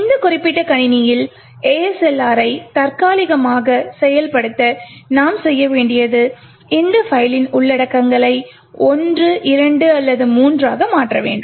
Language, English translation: Tamil, In order to enable ASLR on this particular system temporally what we need to do is change the contents of this file to either 1, 2, or 3